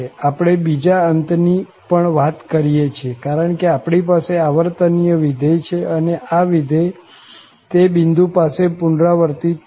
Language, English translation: Gujarati, We are talking about the other ends also because we have the periodic function and this function will repeat again at that point